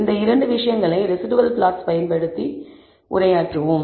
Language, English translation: Tamil, These 2 things we will address using residual plots